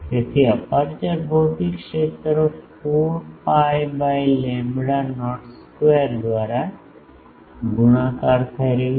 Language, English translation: Gujarati, So, aperture physical area is getting multiplied by 4 pi by lambda not square